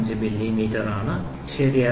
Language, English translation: Malayalam, 00055 millimeter, ok